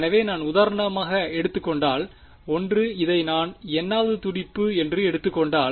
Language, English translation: Tamil, So, if I take for example, 1 if I take this to be the n th pulse